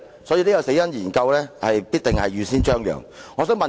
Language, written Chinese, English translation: Cantonese, 所以，這項"死因研究"必定是預先張揚的。, Thus the post - mortem is surely one for which advance notice has been given